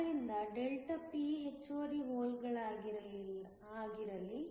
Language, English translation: Kannada, So, let Δp be the excess holes